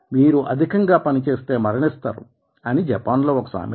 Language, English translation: Telugu, in japan it is a common saying that if you do too much of work you will die